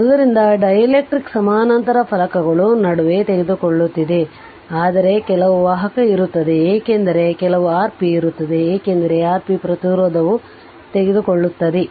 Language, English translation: Kannada, So, you are because dielectric we are taking in between the parallel plates, but some conduction will be there because of that some R p will be there right that R p resistance we take right this R p